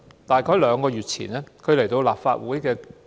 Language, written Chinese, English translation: Cantonese, 這是她第二次在立法會發言。, That was the second time she spoke in the Council